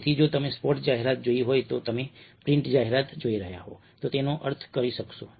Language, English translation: Gujarati, so if you have seen the spot ad, if you are looking at the print ad, you will be able to make sense of it